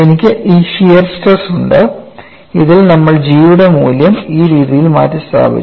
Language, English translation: Malayalam, I have this shear strain in which we have replaced the value of G in this manner